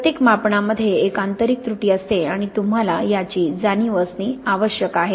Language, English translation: Marathi, Every measurement has an intrinsic error and you have to be aware of these